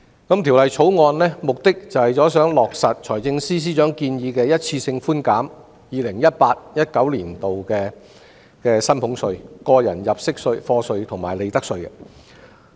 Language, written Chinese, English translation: Cantonese, 《條例草案》的目的是落實財政司司長的建議，一次性寬減 2018-2019 年度的薪俸稅、個人入息課稅及利得稅。, The Bill aims at implementing the proposal of the Financial Secretary by offering a one - off reduction of salaries tax tax under personal assessment and profits tax for the year 2018 - 2019